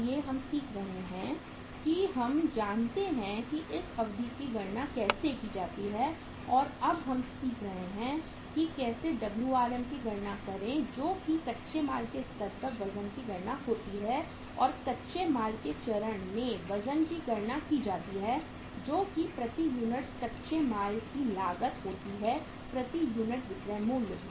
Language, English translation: Hindi, So we are learning that we know how to calculate this duration and now we are learning how to calculate the Wrm that is the weight at the raw material stage and weight of the raw material stage can be calculated that is cost of raw material per unit divided by selling price per unit